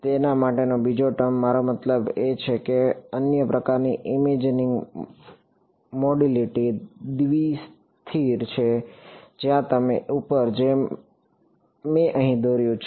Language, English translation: Gujarati, The other term for it is I mean the other kind of imaging modality is bi static where you can have like I drew above over here